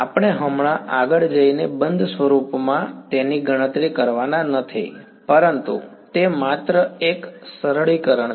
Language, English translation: Gujarati, We are not going to go ahead and calculate it in closed form right now, but is just a simplification